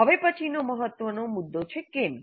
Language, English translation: Gujarati, The next important point is why